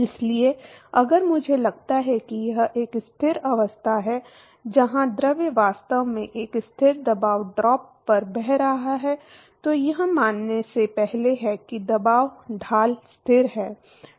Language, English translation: Hindi, So, if I assume that it is a steady state, where the fluid is actually flowing at a constant pressure drop, then it is prior to assume that the pressure gradient is constant